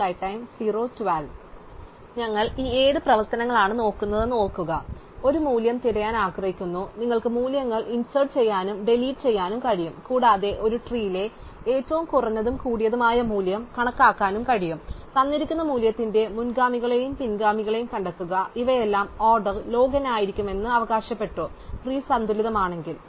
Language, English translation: Malayalam, So, recall that we are looking at these 7 operations, we want to able to search for a value, we want be able to insert and delete values, we also want to be able to compute the minimum and the maximum value in a tree and also find the predecessors and successor of the given value and all of these we claimed would be order log n provided the tree is balanced